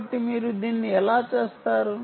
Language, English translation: Telugu, so how do you do that